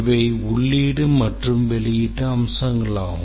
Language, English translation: Tamil, That is the input output behavior